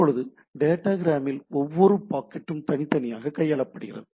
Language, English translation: Tamil, Now, in case of a datagram each packet is treated independently